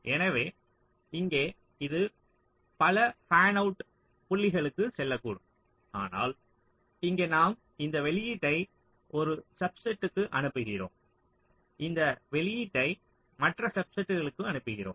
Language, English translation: Tamil, so here it maybe going to many of the fanout points, but here we are sending this output to a subset and this output to the other subset